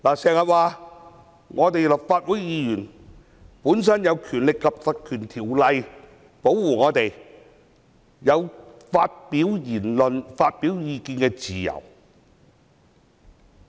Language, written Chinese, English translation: Cantonese, 有人經常說立法會議員本身受到《條例》保護，有發表言論和意見的自由。, Some people often proclaim that Members of the Legislative Council being under the protection of PP Ordinance enjoy the freedom of expression and opinion